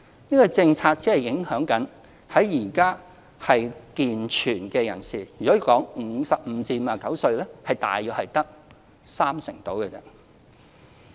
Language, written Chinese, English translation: Cantonese, 這個政策僅影響現時健全的人士，在55歲至59歲的組別中，大約只有三成左右。, The present policy will only affect able - bodied recipients who only account for 30 % in the age group of 55 to 59